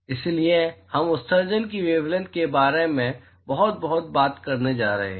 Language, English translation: Hindi, So, therefore, we are going to talk a lot about the wavelength of the emission